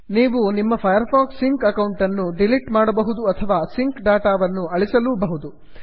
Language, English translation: Kannada, You may also want to delete your firefox sync account or clear your sync data